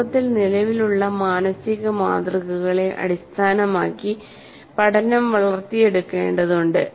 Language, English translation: Malayalam, Learning needs to build on existing mental models of the world